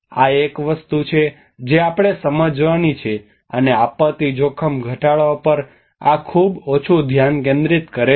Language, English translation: Gujarati, This is one thing which we have to understand, and this is a very little focus in on disaster risk reduction